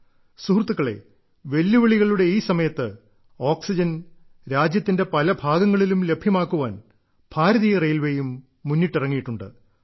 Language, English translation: Malayalam, Friends, at this very moment of challenge, to facilitate transportation of oxygen, Indian Railway too has stepped forward